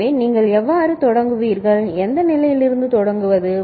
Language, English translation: Tamil, So, how would you start, from which state do you start